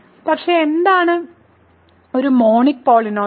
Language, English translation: Malayalam, So, what is a monic polynomial